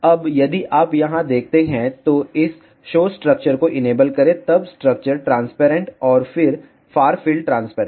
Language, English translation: Hindi, Now, if you see here just enable this show structure then structure transparent and then far field transparent